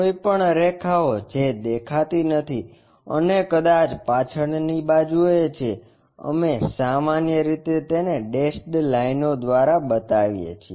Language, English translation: Gujarati, Any any lines which are not visible and maybe perhaps at the back side, we usually show it by dashed lines